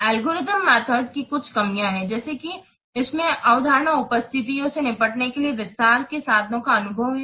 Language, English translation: Hindi, There are some drawbacks of algerding methods such as it lacks the means to detail with to deal with exceptional conditions